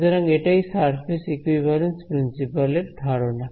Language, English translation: Bengali, So, that is the idea behind the surface equivalence principle ok